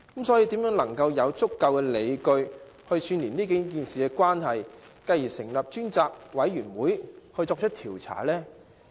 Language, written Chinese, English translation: Cantonese, 所以，如何能有足夠理據串連這數件事情的關係，以支持成立專責委員會作出調查？, For that reason how can we have sufficient proofs to string together these unrelated cases in order to support the call for setting up a select committee to investigate?